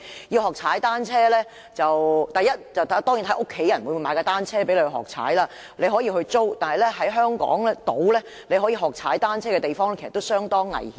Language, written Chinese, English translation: Cantonese, 要學踏單車，當然首先要視乎家人會否購買單車讓你學習，也可以租用單車，但在香港島可讓人學習踏單車的地方，其實也相當危險。, To learn how to ride a bicycle first it depends on whether ones family will buy a bicycle for such a learning purpose . One may also rent a bicycle but the places on Hong Kong Island where people can learn cycling are rather dangerous